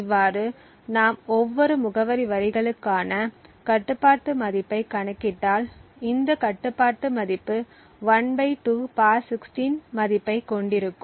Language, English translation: Tamil, Thus, if we compute the control value for each of these address lines we would get a control value of (1/2) ^ 16